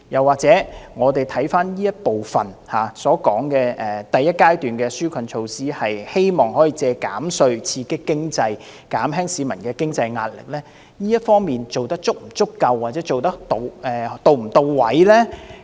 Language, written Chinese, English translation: Cantonese, 或許我們看看這部分所說的第一階段紓困措施，企圖藉着減稅刺激經濟，減輕市民的經濟壓力，這方面做得是否足夠，又或是是否到位呢？, Perhaps we shall see whether this relief measure of the first stage which intends to stimulate the economy and relieve the financial pressure of the public through tax recessions is sufficient or can serve the purpose properly